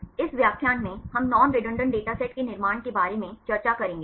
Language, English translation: Hindi, In this lecture we will discuss about the construction of non redundant datasets